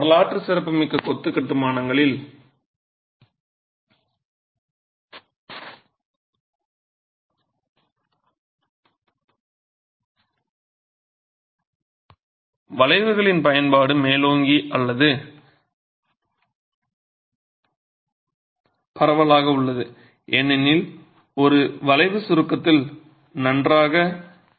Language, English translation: Tamil, The use of arches is predominant, prevalent in historic masonry constructions and that is simply because an arch is known to be good in compression